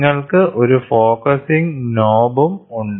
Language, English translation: Malayalam, So, you also have a focusing knob